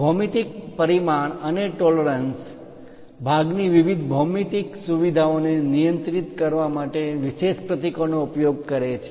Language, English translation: Gujarati, Geometric dimensioning and tolerancing uses special symbols to control different geometric features of a part